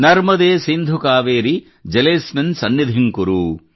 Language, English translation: Kannada, Narmade Sindhu Kaveri Jale asmin sannidhim kuru